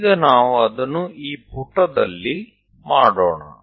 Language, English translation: Kannada, So, let us do that on page